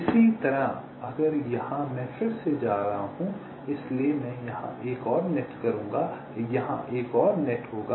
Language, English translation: Hindi, similarly, if here i have this going here again, so i will be having another net out here, there will be another net here